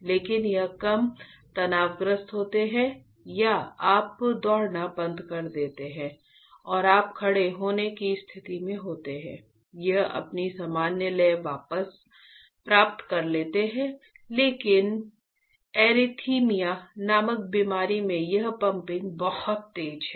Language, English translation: Hindi, But, that is fine because it gains back its normal rhythm as soon as you are less stressed or you stop running and you are at your standing position, suddenly it comes back to its normal rhythm, but in a disease called arrhythmia this pumping is very fast